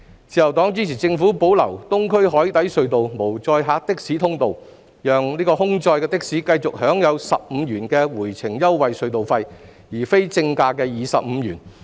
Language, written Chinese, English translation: Cantonese, 自由黨支持政府保留東隧無載客的士通道，讓空載的士繼續享有15元的回程優惠隧道費，而非正價25元。, The Liberal Party supports the Governments retention of the empty taxi lane at EHC so that taxis carrying no passengers will continue to enjoy the concessionary toll of 15 instead of paying the normal toll of 25